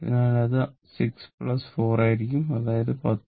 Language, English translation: Malayalam, So, it will be 6 plus 4 that is ohm that is your 10 ohm